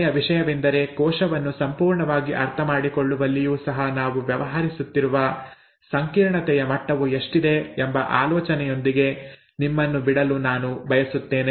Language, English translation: Kannada, One last thing, I would like to leave you with this thought to tell you the level of complexity that we are dealing with even in understanding the cell completely